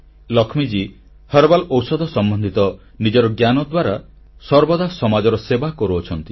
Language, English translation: Odia, Lakshmi Ji is continuously serving society with her knowledge of herbal medicines